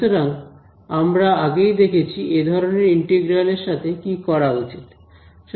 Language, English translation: Bengali, So, we have already seen what to do with an integral of this kind right